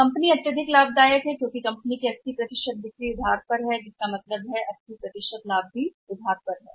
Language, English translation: Hindi, Company is highly profitable for but 80% of the company sales are on credit means 80% of the profit is also credit